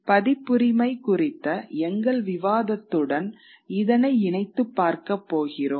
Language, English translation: Tamil, We are going to look at it in conjunction with our discussion on copyright later on